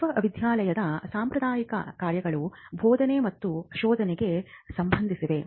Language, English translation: Kannada, The traditional functions of the university pertain to teaching and research